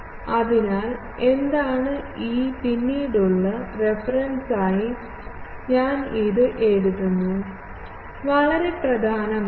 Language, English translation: Malayalam, So, what is E theta for later reference, I am writing it, very very important